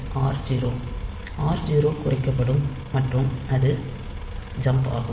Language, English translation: Tamil, So, r 0 will also incremented